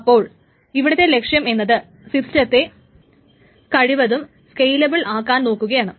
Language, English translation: Malayalam, So that's one of the goals, is to make the system as much scalable as possible